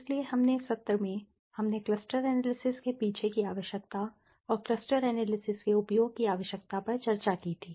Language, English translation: Hindi, So, in the last session we had discussed the requirement the need behind cluster analysis and the use of cluster analysis